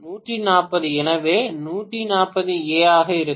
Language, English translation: Tamil, 140, so this is going to be 140 amperes